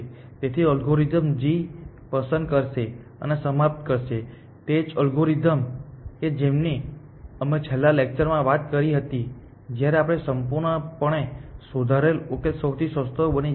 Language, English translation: Gujarati, So, the algorithm will pick g and terminate, the same algorithm that we talked about in the last class when the completely refined solution is becomes a cheapest